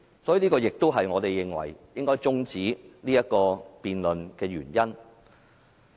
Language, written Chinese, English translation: Cantonese, 所以，這亦是我們認為應該中止這項議案辯論的原因。, It is for this reason that we think the debate of this motion should now be adjourned